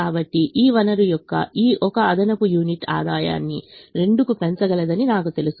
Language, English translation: Telugu, so i know that this one extra unit of this resource can increase the, the revenue by two